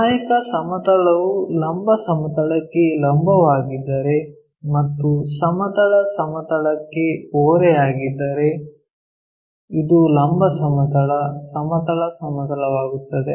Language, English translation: Kannada, If the auxiliary plane is perpendicular to vertical plane and inclined to horizontal plane; this is the vertical plane, horizontal plane